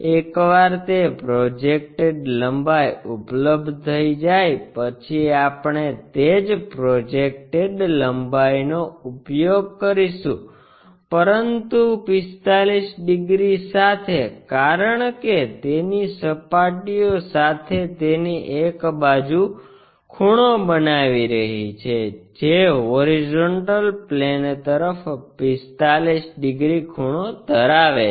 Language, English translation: Gujarati, Once that projected length is available we use the same projected length, but with a 45 degrees because is making one of its sides with its surfaces 45 degrees inclined to horizontal plane